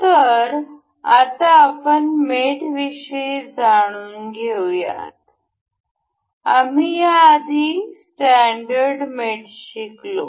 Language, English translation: Marathi, So, now let us see the mates; we we we learned about the standard mates over here